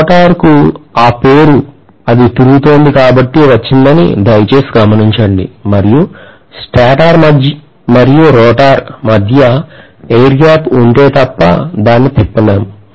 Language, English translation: Telugu, Please note that the rotor gets its name because it is going to rotate and it cannot rotate unless there is an air gap between the stator and rotor